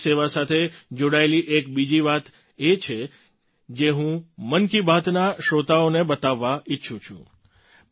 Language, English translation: Gujarati, There is one more thing related to police service that I want to convey to the listeners of 'Mann Ki Baat'